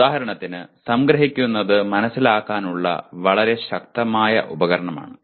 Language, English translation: Malayalam, So, for example summarizing is a very powerful tool to understand